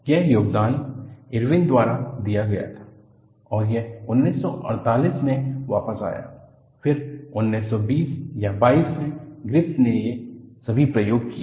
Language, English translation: Hindi, That contribution was done by Irwin and that came a word way back in 1948, so, 1920 or 22 Griffith with all these experiments